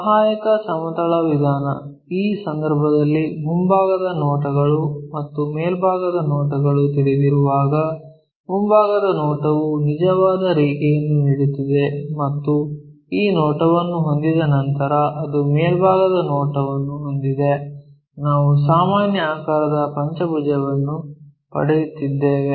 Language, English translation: Kannada, So, our auxiliary plane method, when we know the front views and the top views in this case, ah front view is giving us a line with true line and the top view is after ah having this view, we are getting a pentagon of regular shape